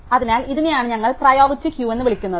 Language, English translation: Malayalam, So, this is what we call a priority queue